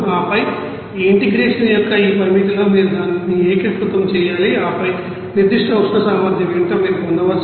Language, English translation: Telugu, And then you have to you know that integrate it within this you know limit of this integration and then you can get what will be the specific heat capacity